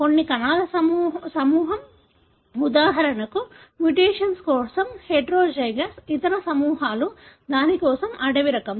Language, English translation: Telugu, Some group of cells are, for example, heterozygous for a mutation, the other groups are wild type for that